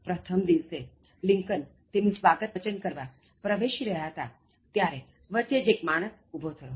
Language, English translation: Gujarati, On the first day, as Abraham Lincoln, entered to give his inaugural address, just in the middle, one man stood up